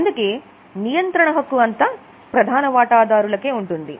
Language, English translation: Telugu, So, these are the main rights of shareholders